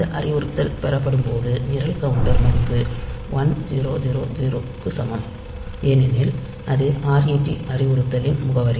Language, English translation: Tamil, So, when this instruction has been fetched, so program counter value is equal to 1000 because that is the address of this ret instruction